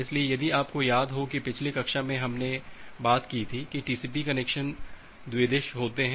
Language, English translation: Hindi, So, if you remember in the last class we have talked about that TCP connection is bidirectional